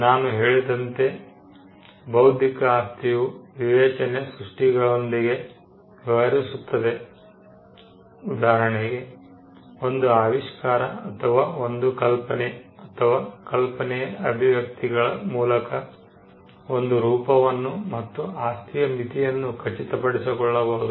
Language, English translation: Kannada, As I said, because intellectual property deals with creations of the mind; like, an invention or an idea or an expression of an idea, we lead to have some form by which we can ascertain the limits of property